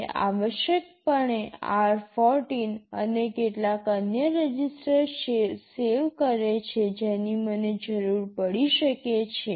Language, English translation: Gujarati, It essentially saves r14 and some other registers which I may be needing